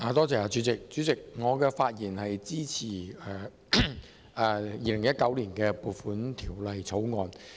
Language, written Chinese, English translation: Cantonese, 主席，我發言支持《2019年撥款條例草案》。, Chairman I speak in support of the Appropriation Bill 2019